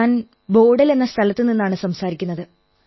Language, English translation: Malayalam, I am speaking from Bodal